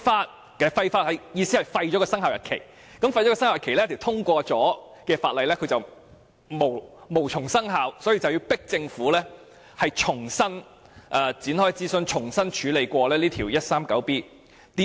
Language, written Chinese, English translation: Cantonese, 所謂廢法的意思就是廢除生效日期，使這項已經通過的法例無從生效，從而迫使政府重新展開諮詢，重新處理第 139B 章。, To repeal the law means repealing the Commencement Notice such that this law which has already been passed will not take effect forcing the Government to start afresh the consultation and deal with Cap . 139B anew